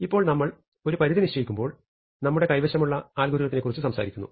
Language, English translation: Malayalam, Now of course, when we are establishing an upper bound we are usually talking of about the algorithm we have